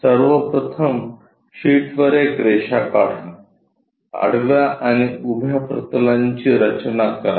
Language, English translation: Marathi, First of all draw a line on the sheet, construct a horizontal plane and a vertical plane